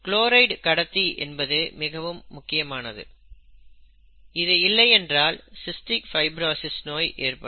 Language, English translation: Tamil, The presence of the chloride transporter is important, because if that is absent, cystic fibrosis arises